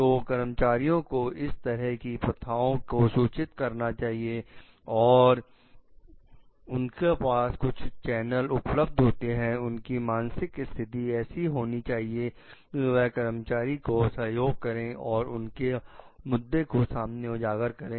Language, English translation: Hindi, So that employees can report about these practices and they must have some channels which are available; they must have like a mental setup to assist the employees in bring the issues forward